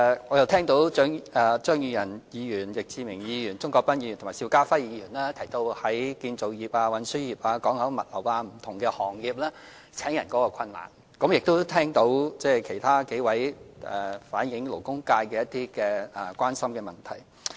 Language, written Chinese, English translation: Cantonese, 我聽到張宇人議員、易志明議員、鍾國斌議員和邵家輝議員提到建造業、運輸業、港口物流等不同行業面對招聘人手的困難，亦聽到其他數位議員反映勞工界關心的問題。, I heard Mr Tommy CHEUNG Mr Frankie YICK Mr CHUNG Kwok - pan and Mr SHIU Ka - fai mentioned the difficulties in manpower recruitment in various trades and industries such as the construction industry the transport industry and the port logistics industry and so on . I also heard a few other Members express the concerns of the labour sector